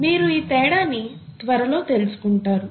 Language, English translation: Telugu, You will know the difference very soon